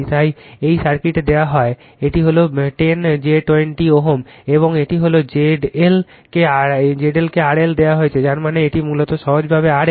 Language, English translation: Bengali, This is 10 j 20 ohm, and this is Z L is given R L that means, it is basically simply R L right